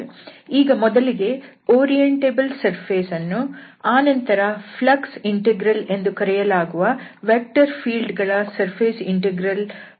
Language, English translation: Kannada, So, we will cover this orientable surfaces first and then we will come to this flux integrals, which is the surface integral of vector field